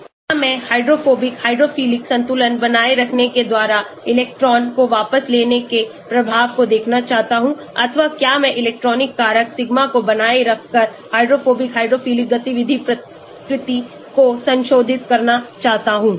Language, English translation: Hindi, Do I want to look at electron withdrawing effect by maintaining the hydrophobic hydrophilic balance or do I want to have a modifying the hydrophobic hydrophilic activity nature, by maintaining the electronic factor, sigma